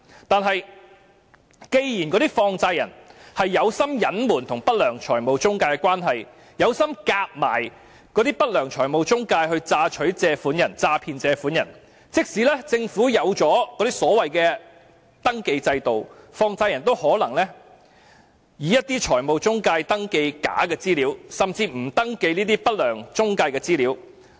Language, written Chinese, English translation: Cantonese, 但是，既然那些放債人存心隱瞞與不良財務中介的關係，存心與不良財務中介合謀詐騙借款人，即使政府設立了登記制度，放債人也可能以一些財務中介登記假的資料，甚至不登記不良中介的資料。, Nevertheless given that those money lenders deliberately conceal their relationship with unscrupulous financial intermediaries and collude with each other in defrauding borrowers even if the Government has set up a registration system the money lenders may register false information through financial intermediaries or even intentionally fail to register information of unscrupulous intermediaries